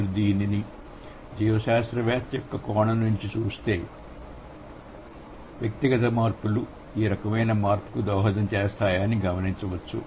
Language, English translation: Telugu, So, if you look at it from a biologist's point of view, so it's the individual changes brings or the individual changes contribute to a bigger change